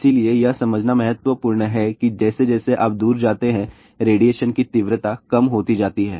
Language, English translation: Hindi, So, this is important to understand that as you go away , the radiation intensity is decreasing